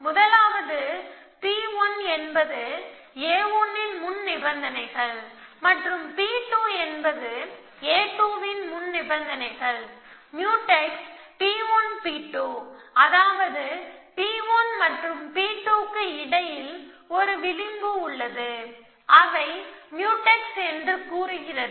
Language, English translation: Tamil, The first is that P 1 belongs to precondition of a 1 and p 2 belongs to precondition of a 2 and Mutex P 1, P 2, Mutex P 1, P 2, I mean there is an edge between P 1 and P 2 which says that they are Mutex